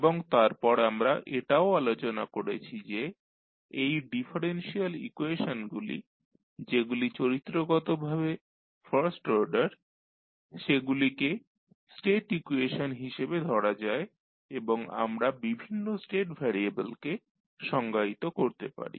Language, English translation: Bengali, And, then we also discussed that these differential equations which are first order in nature can be considered as a state equation and we can define the various state variables